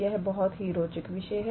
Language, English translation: Hindi, It is a very interesting topic